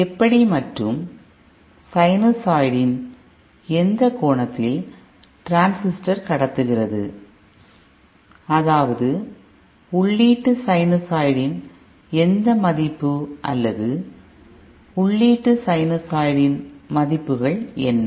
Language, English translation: Tamil, Now, depending on how, what angle or you know for what angle of a sinusoid the transistor is conducting, that is for what value of the input sinusoid or for what face values of the input sinusoid